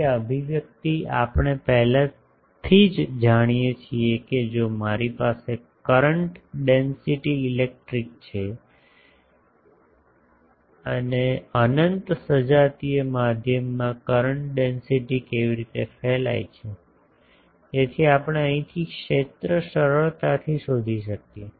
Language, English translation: Gujarati, So, this expression we know already if I have a current density electric, current density in an unbounded homogeneous medium how it radiates, so we can easily find the field from here